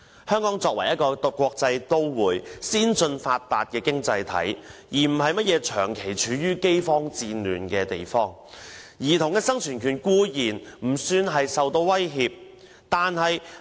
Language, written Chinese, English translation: Cantonese, 香港作為一個國際都市、先進發達的經濟體，而非長期處於饑荒戰亂的地方，兒童的生存權固然不算受到威脅。, As an international city and a developed economy Hong Kong is not in constant famine or war childrens right to survival is naturally not under threat